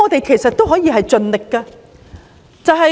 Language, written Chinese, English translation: Cantonese, 其實，我們可以盡力調查。, In fact we can try our best to investigate